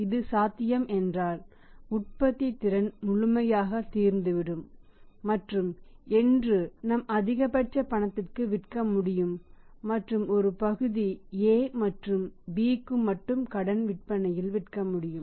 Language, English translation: Tamil, If it is possible that our capacity is production capacity is fully exhausted and we are able to sell maximum cash and part of the credit sales to A and to the B only